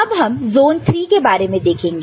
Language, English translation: Hindi, Now, we look at zone III, ok